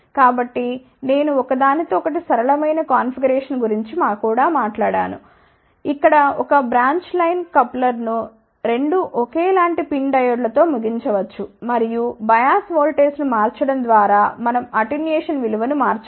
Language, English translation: Telugu, So, I also talked about a 1 another simpler configuration, where 1 can use a branch line coupler terminated with 2 identical PIN diodes and just by changing the bias voltage, we can vary the value of attenuation